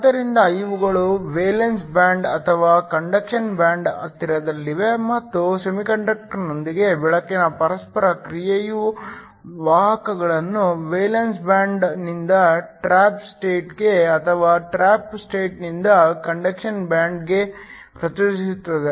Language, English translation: Kannada, So, these could be located either close to the valence band or to the conduction band and again the interaction of light with the semiconductor causes carriers to excite from either the valence band to the trap state or from a trap state to the conduction band